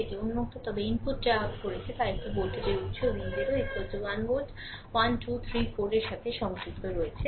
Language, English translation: Bengali, It is open right, but input what we have done is we have connected a voltage source V 0 is equal to 1 volt 1 2 3 4